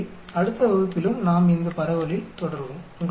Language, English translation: Tamil, So, we will continue on this distribution in the next class also